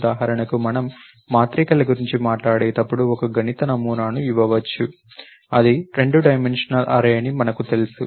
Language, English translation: Telugu, For example, when we talk about matrices, you can give a mathematical model, you know it is a two dimensional array